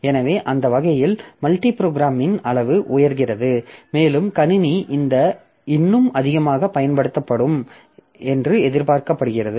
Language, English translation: Tamil, So, that way degree of multi programming goes up and the system is expected to be utilized more